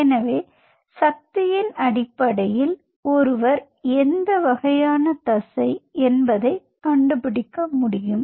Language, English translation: Tamil, so based on the force, one can essentially figure out what kind of muscle it is